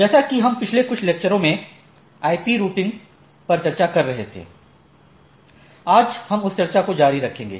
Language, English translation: Hindi, As we are last few lectures we are discussing on IP Routing, so, today we will continue that discussion